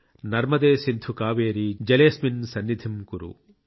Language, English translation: Telugu, Narmade Sindhu Kaveri Jale asmin sannidhim kuru